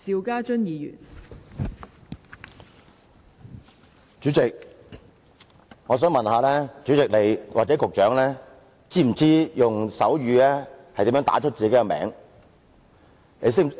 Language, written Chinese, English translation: Cantonese, 代理主席，我想問你或局長是否知道如何用手語表達自己的名字？, Deputy President can I ask you and the Secretary if the two of you know how to say your names in sign language?